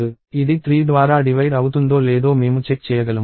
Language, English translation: Telugu, I can check whether it is divisible by 3 or not